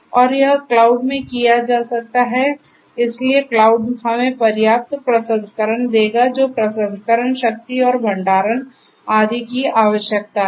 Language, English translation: Hindi, And that can be done in the cloud so cloud will give us ample processing whatever is required processing power plus storage etc